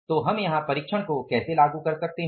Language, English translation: Hindi, So, how can I apply the check here